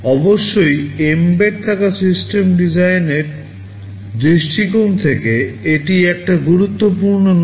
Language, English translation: Bengali, Of course, it is not so much important from the point of view of embedded system design